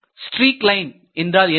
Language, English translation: Tamil, So, what is a streak line